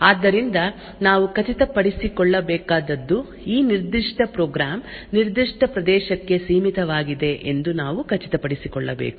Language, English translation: Kannada, So, what we needed to ensure was that we needed to ensure that this particular program is confined to a specific area